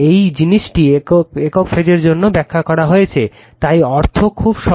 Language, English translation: Bengali, This thing has been explained also for single phase right, so meaning is very simple